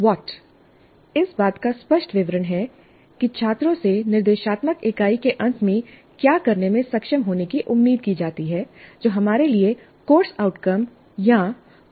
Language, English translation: Hindi, And what is a clear statement of what the students are expected to be able to do at the end of the instructional unit, which is for us the course outcome or competency